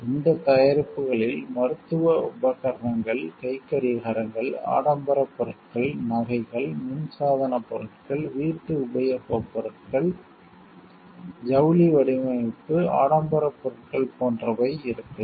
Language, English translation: Tamil, These products may include medical equipments, watches, luxury items, jewelry, electrical items, household, housewares, textile design, luxury goods etcetera